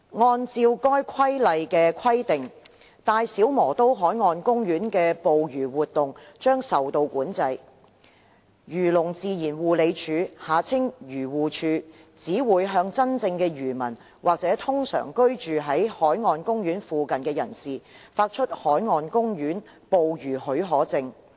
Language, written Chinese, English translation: Cantonese, 按照該《規例》的規定，大小磨刀海岸公園內的捕魚活動將會受到管制。漁農自然護理署只會向真正的漁民或通常居於該海岸公園附近的人士，發出海岸公園捕魚許可證。, Pursuant to the requirements of the Regulation fishing activities will be controlled in BMP; and the Agriculture Fisheries and Conservation Department AFCD will only grant marine park fishing permits to bona fide fishermen or persons who ordinarily reside near BMP